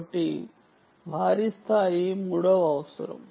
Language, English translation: Telugu, so massive scale is a third requirement